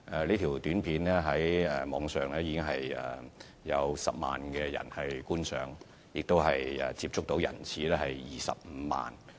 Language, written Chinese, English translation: Cantonese, 這輯短片在網上已得到10萬人觀賞，接觸人次達25萬之多。, This API has been viewed by 10 000 people online reaching out to 250 000 viewers